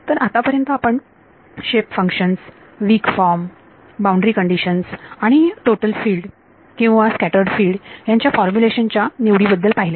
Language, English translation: Marathi, So, so far we have looked at shape functions, weak form, boundary conditions and choice of formulation total field or scattered field formulation